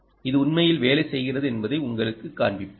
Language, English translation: Tamil, i will let you know that this actually works